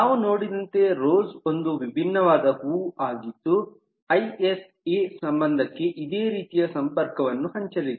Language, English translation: Kannada, we saw rose is a different kind of flower, similar sharing connection, isa relationship